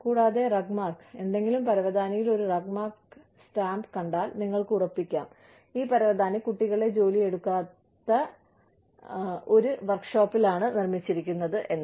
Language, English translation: Malayalam, And RUGMARK, if you see a RUGMARK stamp on any carpet, you can be assured that, this carpet was made in a workshop, where no children were employed, in making this carpet